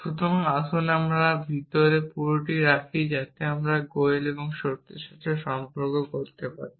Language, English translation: Bengali, So, let us put wholes inside boxes so that we can distinguish between goels and fact